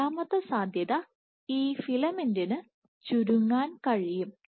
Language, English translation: Malayalam, The second possibility, you can have this filament can shrink